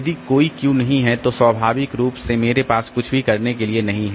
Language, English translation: Hindi, So, if there is no Q then naturally I don't have anything to do so there is no optimization